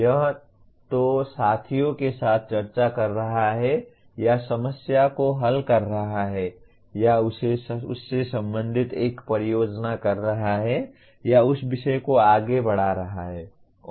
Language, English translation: Hindi, That is either discussing with peers or solving the problem or doing a project related to that or exploring that subject further